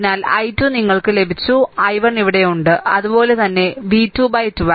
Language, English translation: Malayalam, So, i 2 you have got, i 3 you have got, and i 1 also you have, right so, v 2 by 12